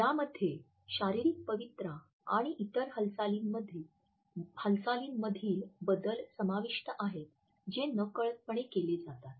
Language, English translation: Marathi, Adaptors include changes in posture and other movements which are made with little awareness